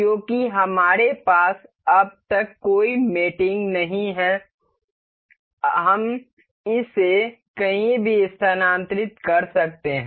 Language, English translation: Hindi, Because we have no mating as of now, we can move it anywhere